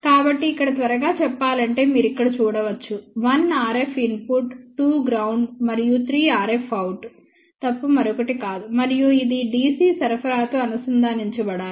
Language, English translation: Telugu, So, just to tell you quickly here you can see here 1 is RF input, 2 is ground and 3 is nothing, but RF out and also, it is to be connected to DC supply